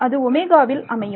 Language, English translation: Tamil, So, over omega right